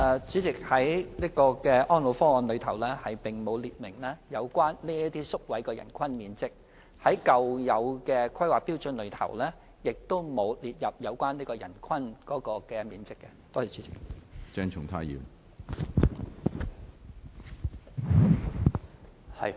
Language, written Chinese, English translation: Cantonese, 主席，《安老方案》並無列明這些宿位的人均面積要求，舊有的《規劃標準》亦無列明有關的人均面積要求。, President neither ESPP nor the old HKPSG has stipulated the per capita space requirement for these residential care places